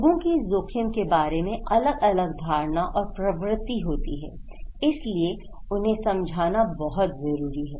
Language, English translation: Hindi, Like, so people have different perceptions about risk, so that’s why it is very important to know